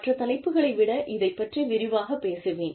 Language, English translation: Tamil, I will talk about it in greater detail, than the rest of these topics